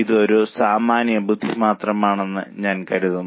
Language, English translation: Malayalam, I think it's just a common sense